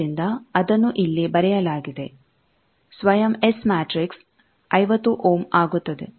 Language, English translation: Kannada, So, that is written here self S matrix that becomes 50 ohm